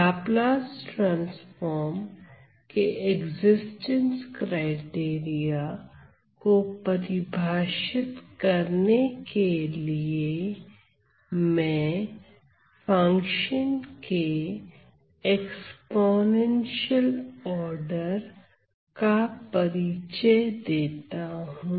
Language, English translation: Hindi, So, we say so to define the existence criteria for Laplace transform, let me introduce what I call as the exponential order of a function the function being exponential order